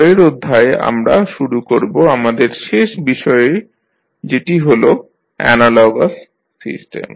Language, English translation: Bengali, In the next session we will start our last topic that is the analogous system